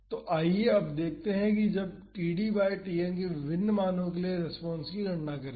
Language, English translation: Hindi, So, now, let us see let us calculate the response for different values of td by Tn